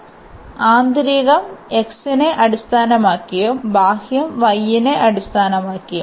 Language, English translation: Malayalam, So, inner one with respect to x and the outer one with respect to y